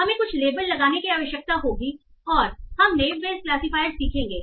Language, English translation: Hindi, We will need to have some labels and we will learn Nibbage Classify